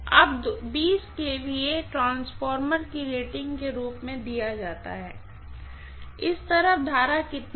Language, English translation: Hindi, Now, 20 kVA is given as 20 kVA is given as the rating of the transformer, how much is the current on this side